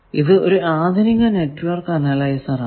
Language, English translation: Malayalam, So, this is about network analyzer